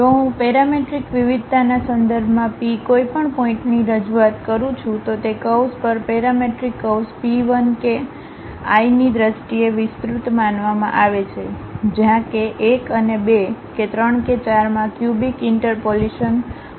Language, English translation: Gujarati, If I am representing it in terms of parametric variation the P any point P, on that curve the parametric curve supposed to be expanded in terms of P i k i where k 1 k 2 k 3 k 4s have this cubic interpolations